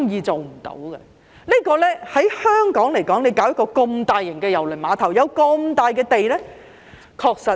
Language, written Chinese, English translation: Cantonese, 在香港興建一個這麼大型的郵輪碼頭，有這麼大幅土地......, Constructing such a large cruise terminal in Hong Kong with such a sizable site I understand that the lease will soon expire as it was granted by the Government in 2012